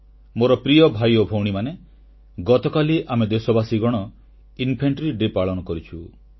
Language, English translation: Odia, My dear brothers & sisters, we celebrated 'Infantry Day' yesterday